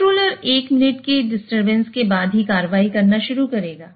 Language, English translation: Hindi, So, the controller will start taking action only after one minute of disturbance